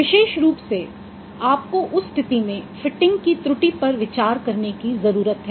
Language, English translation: Hindi, Particularly you need to consider the error of fitting in that case